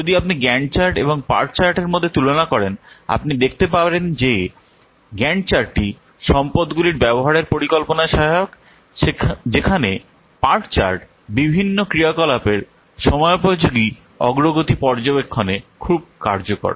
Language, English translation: Bengali, If we will compare between GAN chart and PURCHAD you can see that GANCHAT is helpful in planning the utilization of the resource while PORCHAT is very much useful in monitoring the what timely progress of the different activities